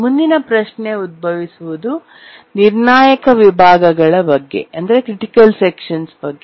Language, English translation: Kannada, Now the next question that we would like to ask is that what are critical sections